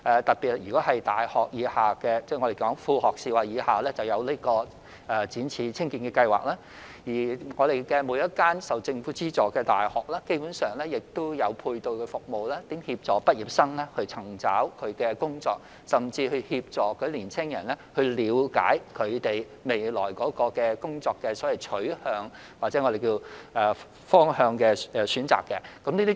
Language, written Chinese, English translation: Cantonese, 特別是在大學以下，即我們所說的副學士及以下，我們設有展翅青見計劃，而每間政府資助的大學基本上亦設有配對服務，協助畢業生尋找工作，甚至協助年輕人了解他們未來的工作取向及選擇方向。, YETP has been implemented particularly for young people with qualifications below degree level or what we say sub - degree level or below . As for university graduates basically all government - subsidized universities provide placement services to help their graduates seek employment and even to help young people understand their future occupation orientation and choose their direction